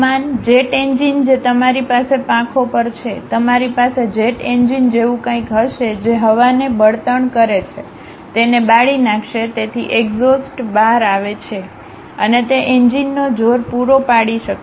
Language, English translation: Gujarati, The aeroplanes, the jet engines what you have on the wings, you will have something like jet engines which grab air put a fuel, burn it, so that exhaust will come out and that can supply the thrust of that engine